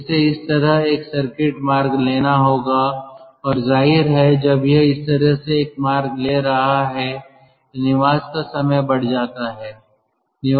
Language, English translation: Hindi, so this has to take a circuitous route like this and obviously when it is taking a route like this, the residence time increases